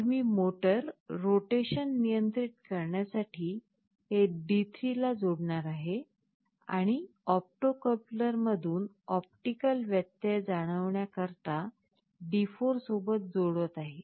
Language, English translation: Marathi, So, I am connecting it to D3 for controlling the motor rotation, and D4 for sensing the optical interruption from the opto coupler